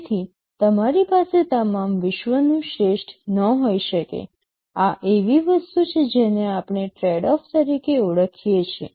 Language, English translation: Gujarati, So, you cannot have best of all worlds; this is something we refer to as tradeoff